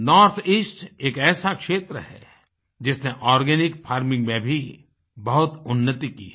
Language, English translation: Hindi, North east is one region that has made grand progress in organic farming